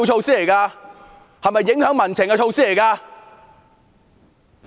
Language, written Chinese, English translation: Cantonese, 是影響民情的措施嗎？, Is this a measure to influence public sentiments?